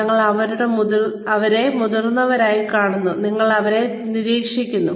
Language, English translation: Malayalam, We see our seniors, and we observe them